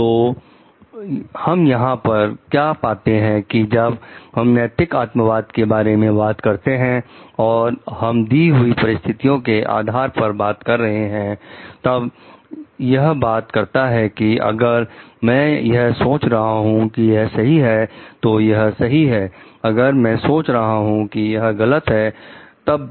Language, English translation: Hindi, So, what we find over here, whenever we are talking of ethical subjectivism and we are talking of as per a given situation, then it talks of; if I think it to be right then it is right if I think it to be wrong